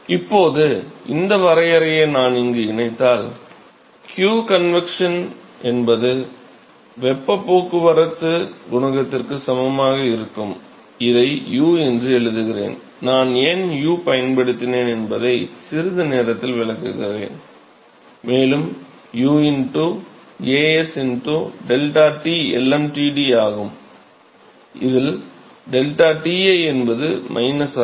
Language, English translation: Tamil, So, now, if I incorporate that definition here, I will have q convection will be equal to some heat transport coefficient, I write this as U and I will explain in a short while why I used U here U into A s into deltaT lmtd where deltaTi is defined as minus